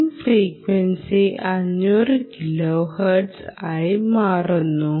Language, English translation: Malayalam, change the switching frequency to ah five hundred kilohertz